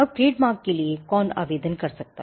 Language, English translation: Hindi, Now, who can apply for a trademark